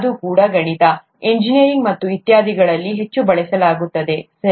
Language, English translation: Kannada, That's also mathematics, heavily used in engineering and so on so forth, okay